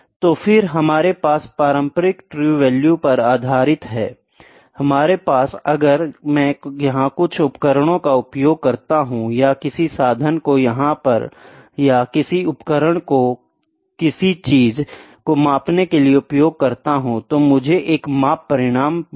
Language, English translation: Hindi, So, then we have based upon the conventional true value; we have if I use some equipment here or some instrument here or some tool here to measure something, I will get a measurement result